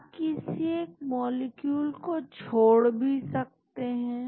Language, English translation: Hindi, You can neglect one of the molecules